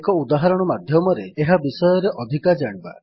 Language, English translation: Odia, Let us learn more about it through an example